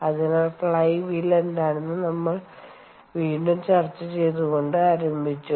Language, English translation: Malayalam, so once again, we started by discussing what is the flywheel